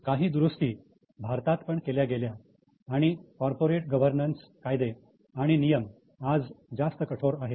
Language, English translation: Marathi, Including some changes were also made in India and corporate governance laws and rules today have been made much more stricter